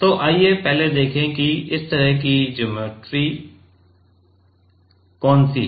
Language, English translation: Hindi, So, let us first see, which is the geometry like this